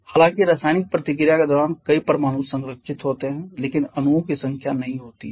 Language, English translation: Hindi, How about during chemical reaction a number of atoms are conserved but not the number of molecules